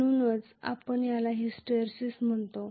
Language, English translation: Marathi, That is why we call it as hysteresis